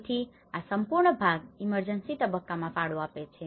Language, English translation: Gujarati, So this is the whole part contributes to emergency phase